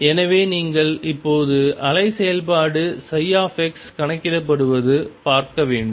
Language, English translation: Tamil, So, you have to see now is calculated the wave function psi x